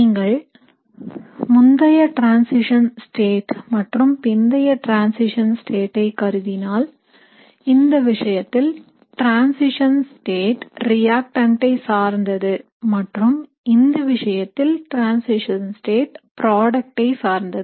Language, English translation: Tamil, So if you consider an early transition state or a late transition state, so in this case the transition state is reactant like and in this case the transition state is product like